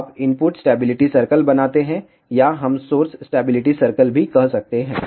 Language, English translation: Hindi, So, in that particular case, what do you do you draw input stability circle or we can also say source stability circle